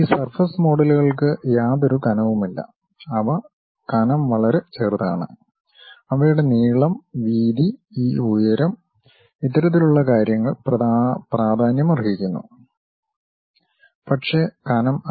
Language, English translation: Malayalam, For and these surface models they do not have any thickness, they are infinitesimally small in thickness, their length, breadth, this height, this kind of things matters, but not the thickness